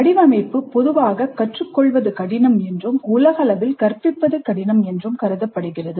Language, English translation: Tamil, Design is generally considered difficult to learn and more universally considered difficult to teach